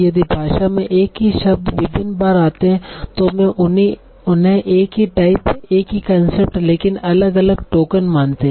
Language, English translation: Hindi, So in language if the same word occurs multiple times, so I call them the same type, same concept, but different tokens